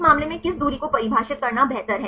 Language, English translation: Hindi, In this case which distance it is better to define